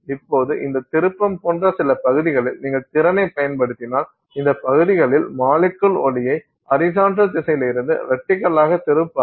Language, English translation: Tamil, So now if you do, if you apply the potential in some regions such that this twist in those regions the molecule will not twist the light from horizontal to vertical